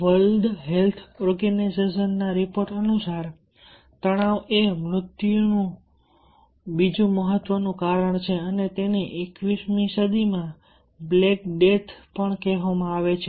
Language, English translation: Gujarati, and as for the world health organization report, stress is the second important cause of death and it is also called the black death in twenty first century